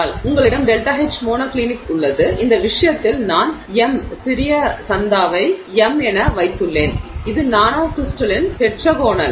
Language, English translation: Tamil, So you have a delta H monoclinic, in this case I have put M small subscript as M and the this is nanocrystalline tetragonal